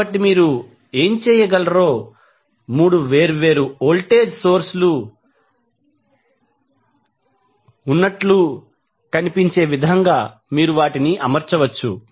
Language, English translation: Telugu, So, what you can do you can arrange them in such a way that it looks like there are 3 different voltage sources